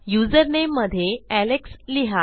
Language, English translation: Marathi, In user name, Ill say Alex